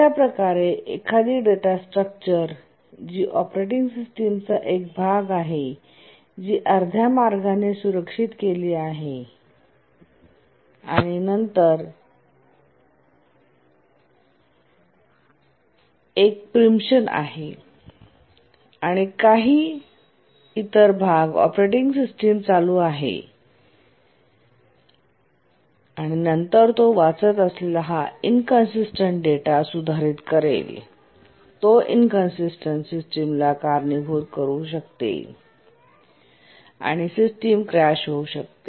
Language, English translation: Marathi, So if a data structure is part of the operating system that is modified halfway and then there is a preemption and some other part the operating system runs and then modifies this data inconsistent data it reads and modifies then it will lead to an inconsistent system and can cross the system